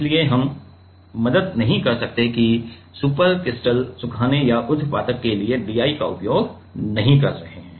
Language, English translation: Hindi, So, we cannot help that we are not using DI water for supercritical drying or sublimation